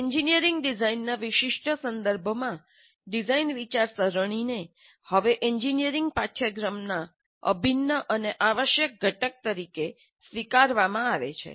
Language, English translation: Gujarati, Design thinking in the specific context of engineering design is now accepted as an integral and necessary component of engineering curricula